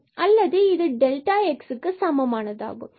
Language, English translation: Tamil, So, x square this will become 4